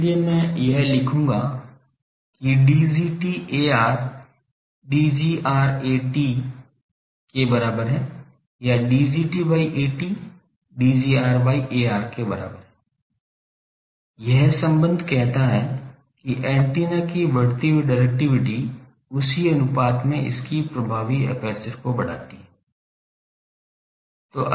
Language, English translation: Hindi, So, I will write that that D gt A r is equal to D gr A t, or D gt by A t is equal to D gr by A r, this relation says that increasing directivity of an antenna, increases its effective aperture in the same proportion